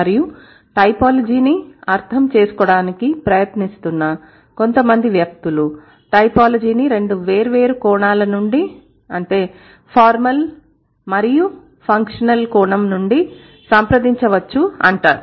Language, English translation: Telugu, And people who are trying, like typology could be approached from two different perspectives, from the formal as well as from the functional perspective